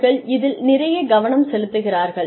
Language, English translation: Tamil, And, they are focusing on this, a lot